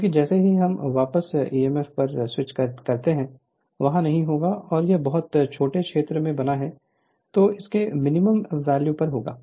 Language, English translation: Hindi, Because as soon as otherwise as soon as we switch on back emf will not be there and you if you make it at a very small you are what you call where is I mean it is at a minimum value